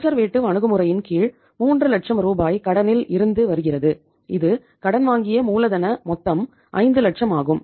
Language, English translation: Tamil, Under the conservative approach we are say providing say out of say 3 lakh rupees which is coming from the debt that is the borrowed capital total is of the 5 lakhs